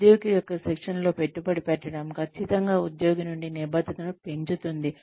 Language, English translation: Telugu, Investing in the training of an employee, will definitely increase the commitment, from the employee